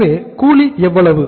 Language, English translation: Tamil, So wages are how much